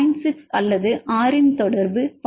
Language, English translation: Tamil, 6 or r is more than 0